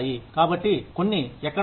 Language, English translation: Telugu, So, some difference here